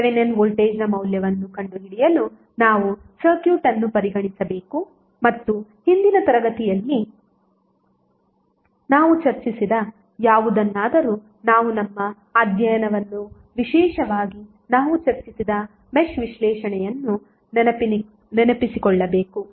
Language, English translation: Kannada, To find the value of Thevenin voltage we have to consider the circuit and whatever we discussed in previous classes we have to just recollect our study specially the mesh analysis which we discussed